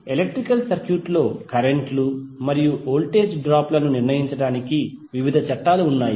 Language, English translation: Telugu, There are various laws which are used to determine the currents and voltage drops in the electrical circuit